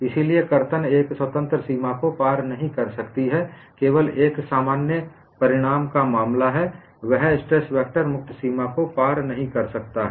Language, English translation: Hindi, So, shear cannot cross a free boundary is only a particular case of a generic result; that is, stress vector cannot cross the free boundary